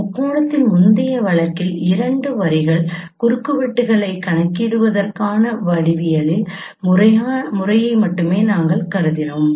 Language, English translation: Tamil, In the previous case of triangulation we considered only geometric method of computing the intersections of two lines